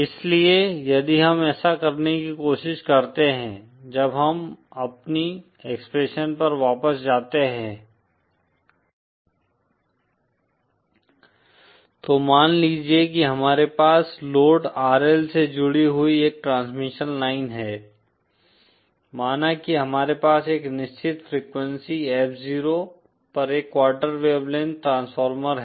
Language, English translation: Hindi, So if we try to do that, when we go back to our expression, let’s suppose we have a transmission line with load RL connected and it has, say we have a quarter wave length transformer at a certain frequency F 0, say